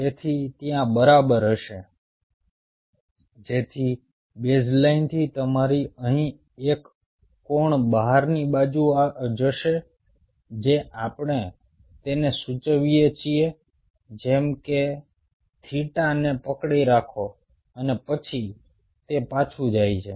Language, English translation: Gujarati, so your baseline, from the baseline there will be a shift of an angle out here, which is we denote it as by theta hold on and then again it goes back